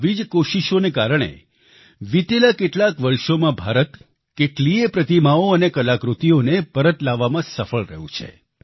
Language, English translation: Gujarati, Because of such efforts, India has been successful in bringing back lots of such idols and artifacts in the past few years